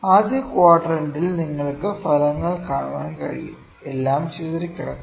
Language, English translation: Malayalam, In the first quadrant you can see the results are all scattered